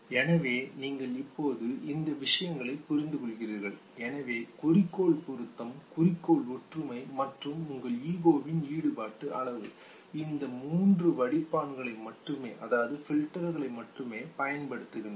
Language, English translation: Tamil, So you understand these things now, so just goal relevance, goal congruence and the level of the degree of involvement of your ego, only these three filters are used and this leads to the primary operation mechanism